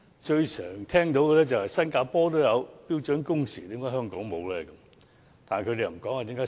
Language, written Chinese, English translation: Cantonese, 最經常聽到的是新加坡也有標準工時，為何香港沒有？, An argument most often advanced by Members is that when Singapore has standard working hours why should we not have them in Hong Kong?